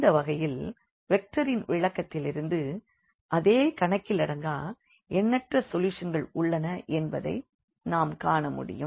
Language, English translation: Tamil, So, from the vector interpretation as well we can see that there are infinitely many solutions in such cases